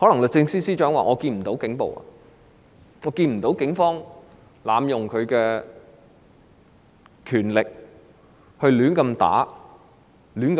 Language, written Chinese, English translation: Cantonese, 律政司司長可能會說她看不到警暴，看不到警方濫用權力，亂打人或亂拘捕人。, The Secretary for Justice may say that she has not seen the Police acting brutally abusing power assaulting people arbitrarily or making indiscriminate arrest